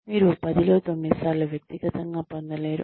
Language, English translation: Telugu, You do not get personal, 9 times out of 10